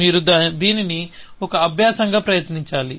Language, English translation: Telugu, You should try it as an exercise